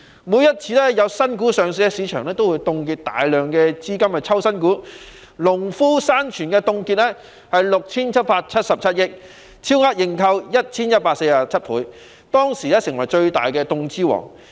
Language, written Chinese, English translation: Cantonese, 每次有新股上市，市場便會凍結大量資金去抽新股，例如農夫山泉凍資 6,777 億元，超額認購 1,147 倍，當時成為最大凍資王。, Whenever a new stock is listed huge amounts of funds in the market will be frozen for the subscription of new shares . For example 677.7 billion of funds were frozen for Nongfu Spring which was oversubscribed by 1 147 times . It was the stock for which the largest amounts of funds were frozen at that time